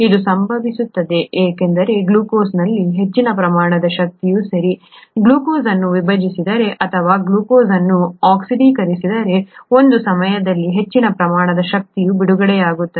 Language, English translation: Kannada, This happens because a large amount of energy in glucose, okay, if we split glucose, or if we oxidise glucose, a large amount of energy gets released at one time